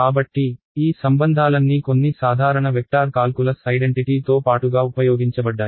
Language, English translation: Telugu, So, all of these relations were used along with some simple vector calculus identities right